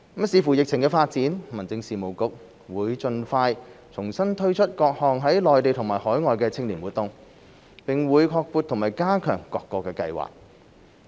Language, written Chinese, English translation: Cantonese, 視乎疫情發展，民政事務局會盡快重新推出各項內地和海外青年活動，並會擴闊和加強各個計劃。, The Home Affairs Bureau will expeditiously relaunch various Mainland and overseas youth programmes subject to the development of the epidemic and enhance the breadth and depth of all programmes